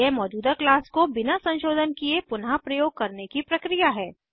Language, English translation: Hindi, It is the process of reusing the existing class without modifying them